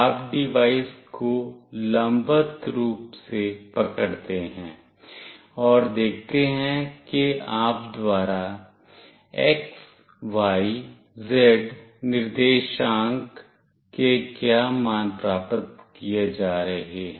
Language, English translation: Hindi, You hold the device vertically up, and see what values of x, y, z coordinate you are getting